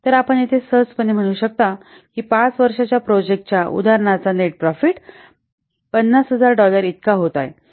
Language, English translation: Marathi, So, here you can see easily that the net profit for this example project for 5 years is coming to be $50,000